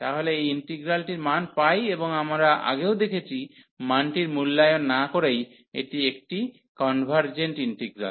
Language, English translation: Bengali, So, the value of this integral is pi, and we have seen before as well without evaluating the value that this is a convergent integral